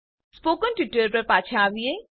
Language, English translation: Gujarati, Back to spoken tutorials